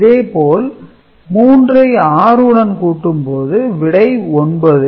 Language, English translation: Tamil, Similarly, 3 with 6 you get 9 absolutely no issue